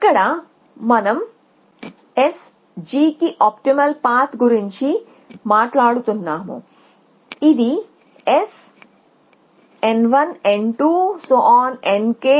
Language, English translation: Telugu, Here we are talking about an optimal path from S to G